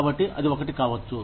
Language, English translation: Telugu, So, that could be one